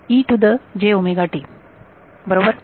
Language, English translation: Marathi, e to the j omega t right